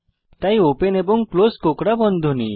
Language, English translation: Bengali, So open and close curly brackets